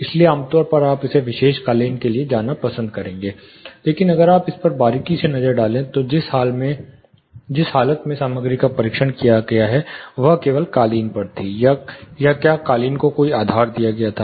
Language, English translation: Hindi, So, typically you will prefer going for this particular carpet, but if you closely take a look at it, the mounting condition, in which the material was tested, was at only the carpet, or was there any backing given to the carpet